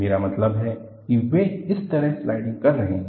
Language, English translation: Hindi, They are sliding like this